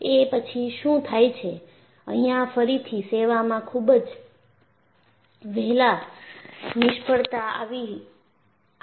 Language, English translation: Gujarati, And what happened was, here again, the failure occurred very early in the service